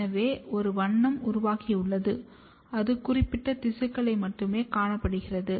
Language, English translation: Tamil, So, therefore, a color has developed and it is seen in particular tissue only